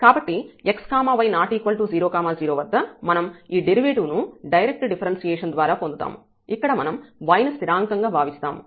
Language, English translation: Telugu, So, at x y not equal to 0 0 point, we can get this derivative by the direct differentiation of this treating this y constant